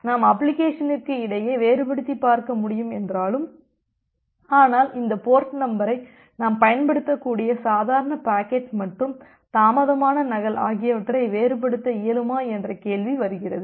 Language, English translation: Tamil, Now although we’ll be able to differentiate between the application, but the question comes that can we utilize this port number to differentiate between the normal packet and the delayed duplicate